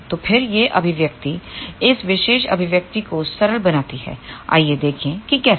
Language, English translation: Hindi, So, then this expression simplifies to this particular expression here let us see how